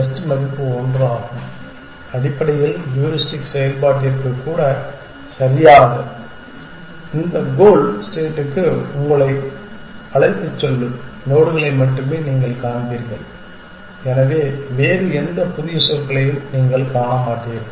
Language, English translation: Tamil, Ideal value is 1, essentially even to heuristic function is perfect you will only see the nodes which take you to this goal station, so you will not see any other new terms